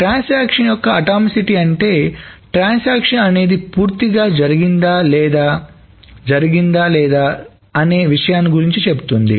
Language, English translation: Telugu, So the atomicity of a transaction, the atomicity of a transaction essentially says that either the transaction has completely happened or it has not happened at all